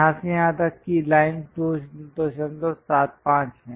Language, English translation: Hindi, From here to here that line is 2